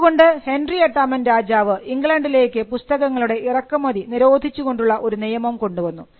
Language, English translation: Malayalam, So, that led to Henry the VIII leading passing a law, banning the imports of books into England because printing technology was practiced everywhere